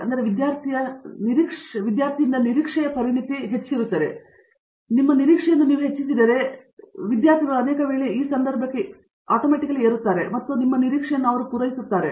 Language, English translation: Kannada, So, the level of expertise, expected of the student is increased and if you increase your expectation many times the students rise to the occasion and meet it